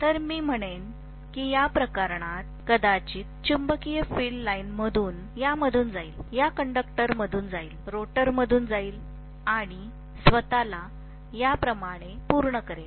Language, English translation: Marathi, So I would say that in this case, maybe the magnetic field line will pass through this, pass through these conductors, pass through the rotor and complete itself like this